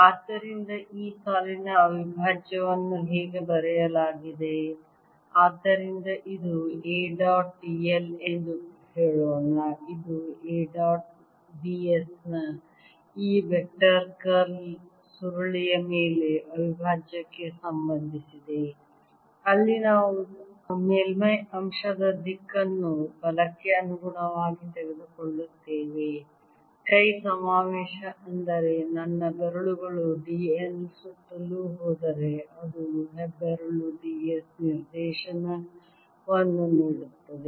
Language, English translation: Kannada, it relates it to the surface integral of the curl of this vector curl of a dot d s, where we take the direction of the surface element according to the right hand convention, that is, if my fingers go, ah, around d l, my thumb gives the direction of d